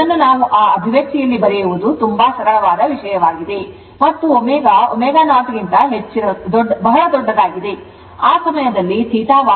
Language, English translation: Kannada, This is just put in that your what we call in that expression very simple thing it is and omega omega is much much greater than omega 0, at that time you will see theta Y is plus 90 degree